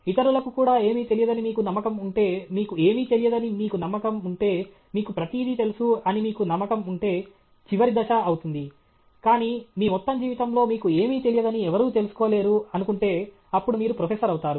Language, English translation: Telugu, The last step will be if you are convinced that you know everything, if you are convinced that you don’t know anything, if you are convinced that others also don’t know anything, but you are also convinced that in your whole life time nobody can actually find out that you don’t know anything, then you become a Prof